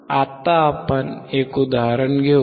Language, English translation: Marathi, Now we will take an example